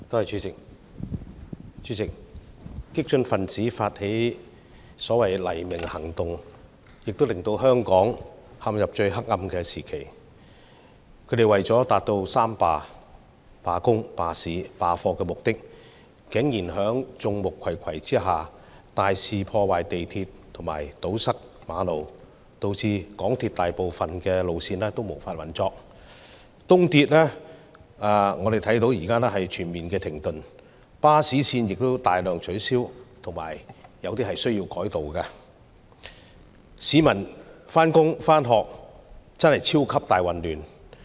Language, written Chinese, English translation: Cantonese, 主席，激進分子發起的所謂"黎明行動"，令香港陷入最黑暗的時期，他們為了達到"三罷"，即是罷工、罷市和罷課的目的，竟然在眾目睽睽之下大肆破壞港鐵及堵塞馬路，導致港鐵大部分路線無法運作，東鐵現在全面停頓，巴士線也大量取消或改道，市民上班和上課超級大混亂。, President Hong Kong has plunged into its darkest time because of the so - called sunrise mission initiated by the extreme protesters . In order to achieve their so - called general strike on three fronts ie . labour strike strike by businesses and class boycott they blatantly vandalized MTR railways and blocked roads leaving most of the MTR lines inoperable the East Rail Line in a complete halt and many bus routes cancelled or re - routed